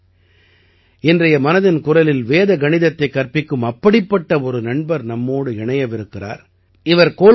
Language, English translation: Tamil, Friends, today in 'Mann Ki Baat' a similar friend who teaches Vedic Mathematics is also joining us